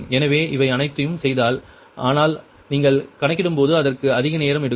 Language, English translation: Tamil, so making all these things, ah, but a when you will calculate it it will take more time, right